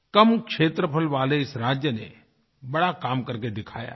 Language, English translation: Hindi, This state has a small area but it has attained a grand success